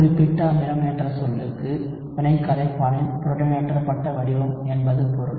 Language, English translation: Tamil, Specific acid the term itself means protonated form of reaction solvent